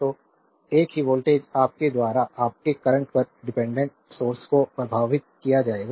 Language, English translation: Hindi, So, same voltage will be impressed across this your this your dependent current source